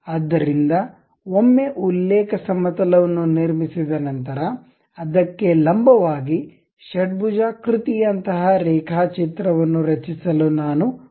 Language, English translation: Kannada, So, once reference plane is constructed; normal to that, I would like to have something like a sketch, a hexagon, done